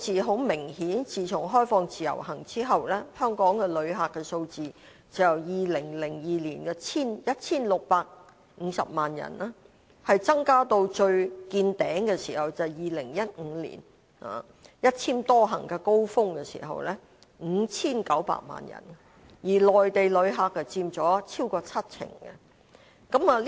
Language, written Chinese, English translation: Cantonese, 很明顯，自從開放自由行之後，香港的旅客數字就由2002年的 1,650 萬人增加至2015年"一簽多行"最高峰時的 5,900 萬人，內地旅客佔了超過七成。, Apparently since the introduction of the Individual Visit Scheme IVS the number of visitor arrivals to Hong Kong has increased from 16.5 million in 2002 to the peak of 59 million with the implementation of multiple - entry Individual Visit Endorsements in 2015 and Mainland visitors accounted for more than 70 % of our visitors